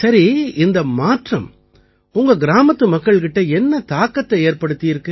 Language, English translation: Tamil, So what is the effect of this change on the people of the village